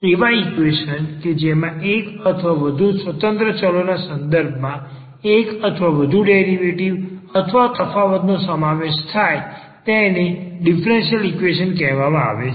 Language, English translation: Gujarati, So an question which involves the derivates or the differentials of one or more independent variables with respect to one or more independent variables is called differential equation